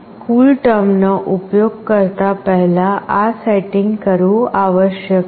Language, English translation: Gujarati, This setting must be done prior to using this CoolTerm